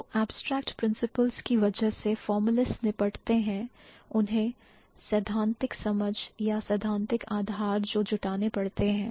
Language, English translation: Hindi, So because of the abstract principles that the formalists that deal with, they have to the theoretical understanding or the theoretical underpinnings if I can talk about